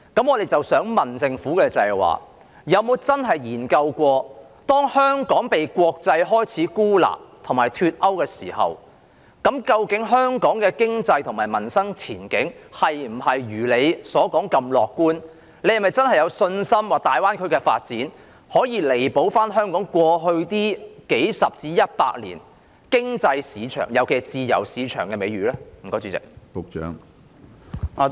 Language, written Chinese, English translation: Cantonese, 我想問政府有否真的研究過，當香港開始被國際孤立和脫鈎時，究竟香港的經濟和民生前景是否如政府所說般樂觀，政府是否真的有信心，大灣區的發展可以彌補香港過去數十年至百年的自由市場經濟美譽呢？, May I ask the Government whether it has really studied when Hong Kong is being isolated by and decoupled from the international community whether the economic and livelihood prospects of Hong Kong are as optimistic as the Government claims? . Is the Government really confident that the development of the Greater Bay Area can make up for Hong Kongs reputation as a free market economy over the past decades or century?